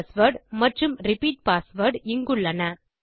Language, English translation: Tamil, Here is the password and repeat password